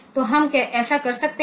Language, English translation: Hindi, So, we can do that